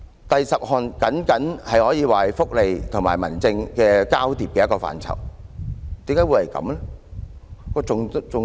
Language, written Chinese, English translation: Cantonese, 第十項僅僅可以說是福利和民政交疊的一個範疇，為何會這樣？, Item 10 can only be taken as an overlap of welfare and home affairs . Why is this so?